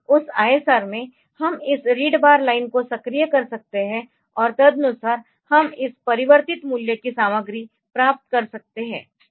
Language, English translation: Hindi, In that in that ISR so, we can activate this read bar line, and accordingly we can get the content of this converted value